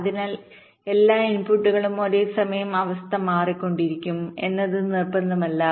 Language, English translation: Malayalam, so it is not necessarily true that all the inputs will be changing state at the same time